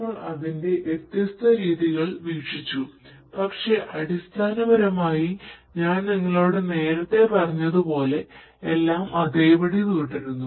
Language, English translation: Malayalam, We have looked at it, relooked at it in different different ways, but essentially as I told you earlier everything remains the same